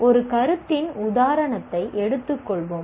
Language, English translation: Tamil, Let us take an example of a concept